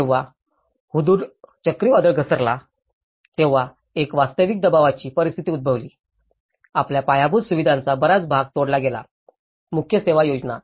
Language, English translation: Marathi, When Hudhud cyclone has hit, there has been a real pressurized situation, much of the infrastructure has been cut down from you know, the main service plans